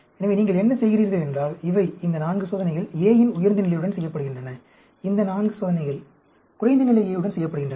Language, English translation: Tamil, So, what you do is, these, these 4 experiments are done with higher level of A; these 4 experiments are done with lower level of A